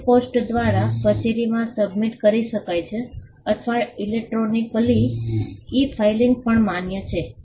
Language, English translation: Gujarati, The application can be submitted to the office by post or electronically e filing is also permissible